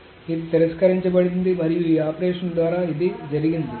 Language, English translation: Telugu, So this is rejected and this operation this doesn't go through